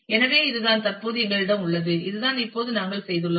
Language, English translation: Tamil, So, this is what we currently have this this is what we have done now